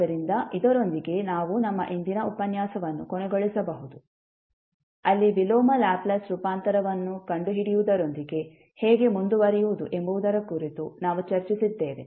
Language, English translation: Kannada, So, with this we can close our today's session, where we discuss about how to proceed with finding out the inverse Laplace transform